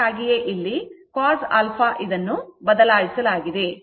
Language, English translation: Kannada, That is why it is written cos alpha